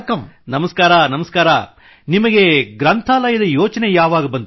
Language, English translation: Kannada, Vanakkam vanakm, how did you get the idea of this library